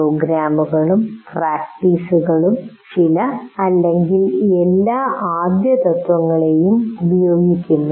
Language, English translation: Malayalam, So programs and practices use some are all of the first principles